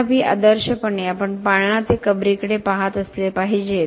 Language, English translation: Marathi, However, ideally, we should be looking at cradle to grave